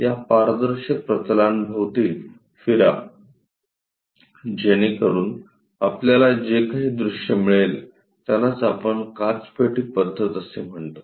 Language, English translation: Marathi, Walk around that transparent planes so that the views whatever we get that what we call glass box method